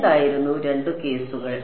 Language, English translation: Malayalam, What was the two cases